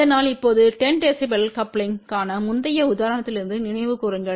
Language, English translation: Tamil, So, now, recall from the previous example for 10 db coupling